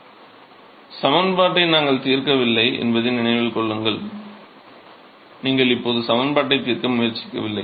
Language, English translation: Tamil, So, remember that we are not solving the equation you not even attempting to solve the equation as if now